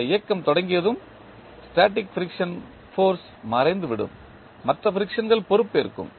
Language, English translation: Tamil, Once this motion begins, the static frictional force vanishes and other frictions will take over